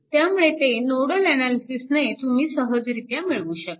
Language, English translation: Marathi, So, easily you can easily you can find out how using nodal analysis